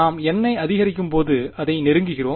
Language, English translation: Tamil, As we increase n we are approaching that